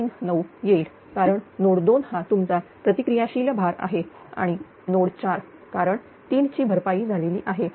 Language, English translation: Marathi, 39 and reactive load will be your node 2 and ah node 4 because 3 is compensated right